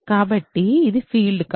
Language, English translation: Telugu, So, when is this a field